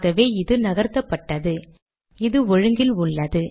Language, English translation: Tamil, So this has been shifted, this has been aligned